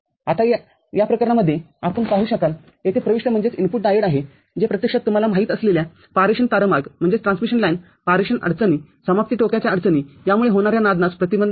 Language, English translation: Marathi, And you will see in these cases there is an input diode over here which actually prevents ringing due to you know transmission line transmission issues termination issues